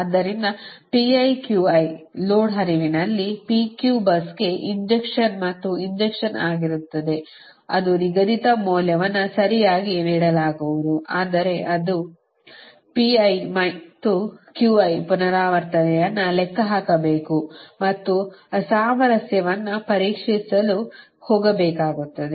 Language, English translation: Kannada, so, because in lot flow that the injection, pi and qi injection for pq bus a that it will be, is that schedule value will be given, right, but this pi and qi you have to calculate also iteratively and you have to make go for checking the mismatch